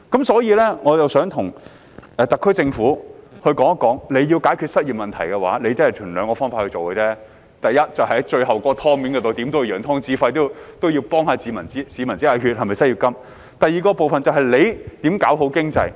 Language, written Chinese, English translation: Cantonese, 所以，我想告訴特區政府，如果要解決失業問題，便只能循兩個方法做：第一，就是關於眼前的"湯"，怎也要揚湯止沸，要為市民"止血"，推出失業金；第二，就是要做好經濟。, Therefore I wish to tell the SAR Government that it can only tackle the unemployment problem in two ways The first one concerns the water before us . We should stop the water from boiling by all means and stop the bleeding for the public by establishing an unemployment assistance . Second we must build a good economy